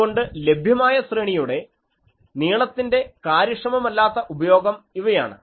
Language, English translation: Malayalam, So, these are inefficient use of the available array length etc